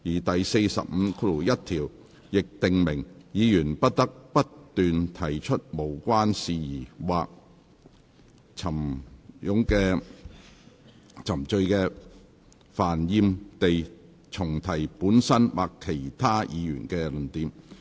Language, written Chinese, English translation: Cantonese, 第451條亦訂明，議員不得不斷提出無關的事宜或冗贅煩厭地重提本身或其他議員的論點。, RoP 451 also stipulates that Members shall not persist in irrelevance or tedious repetition of their own or other Members arguments in the debate